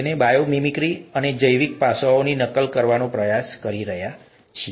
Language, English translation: Gujarati, So bio mimicry, we are trying to mimic biological aspects